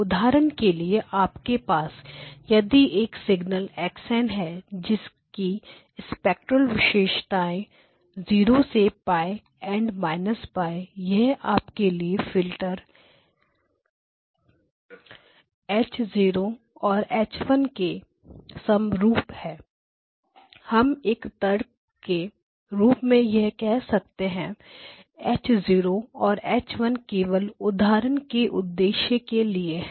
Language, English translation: Hindi, For example, if you had a signal x of n which had got the following spectral characteristic 0 to pi minus pi this is the one and your filters H0 and H1 let us say just for argument sake this is H0 and this is H1 again this is just for illustrative purposes